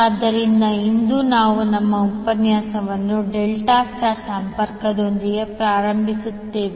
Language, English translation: Kannada, So today, we will start our session with delta star connection